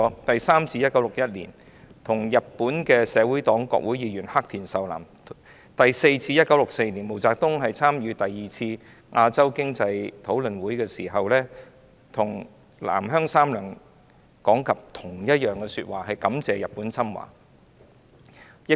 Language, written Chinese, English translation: Cantonese, 第三次是在1961年，當時是與日本社會黨國會議員黑田壽男會談，而第四次則是在1964年，當時毛澤東參加第二次亞洲經濟討論會，再次向南鄉三郎講述同一番說話，感謝日本侵華。, The third time was in 1961 when he talked at the reception for Hisao KURODA a Diet member of the former Socialist Party and the fourth time is in 1964 when MAO Zedong attended the Second Asian Economic Forum he repeated the same remark to Saburo NANGO thanking Japans invasion of China